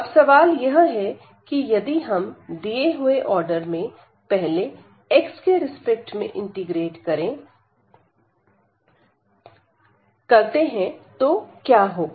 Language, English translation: Hindi, The question is now if we differentiate if we integrate here with respect to x first in the given order, then what will happen